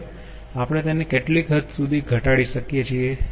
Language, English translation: Gujarati, now how far we can reduce it